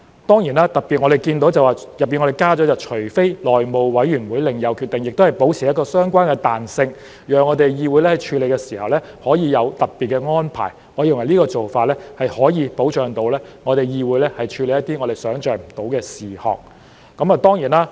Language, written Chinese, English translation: Cantonese, 當然，我們特別看到當中加了"除內務委員會另有決定外"，這亦能保持相關彈性，讓議會處理時可以有特別安排，我認為這個做法可以保障議會處理一些我們想象不到的事項。, Of course we particularly note that unless otherwise decided by the House Committee is added . This can preserve flexibility for the Council to make special arrangements as it conducts business . I believe this approach can guarantee that the Council will be able to deal with unexpected issues